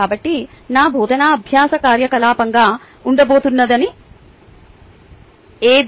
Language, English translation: Telugu, so, which means what is going to be my teaching learning activity